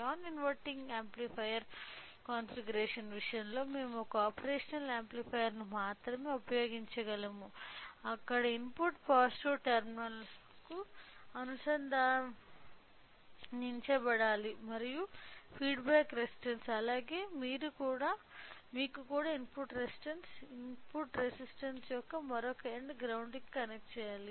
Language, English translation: Telugu, So, in case of an non inverting amplifier configuration we can only use one operational amplifier where the input should be connected to the positive terminal and the in what the feedback resistance as well as you know the input resistance, other end of the input resistance should be connected to the ground